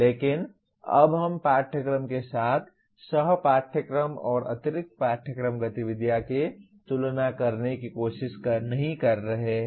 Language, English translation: Hindi, But here we are not trying to compare co curricular and extra curricular activities with the courses as of now